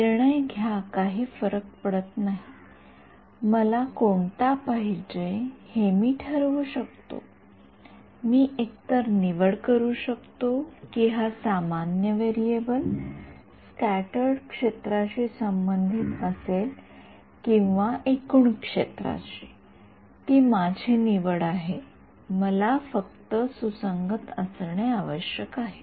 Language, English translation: Marathi, Decide it does not matter I decide which one I want; I can either choose that this common variable be for corresponds to scattered field or total field its my choice I just have to be consistent that is all